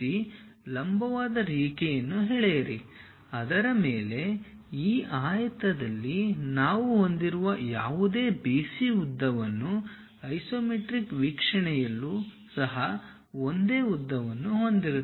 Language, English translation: Kannada, So, draw a vertical line, on that, construct whatever BC length we have it on this rectangle even on the isometric view use the same length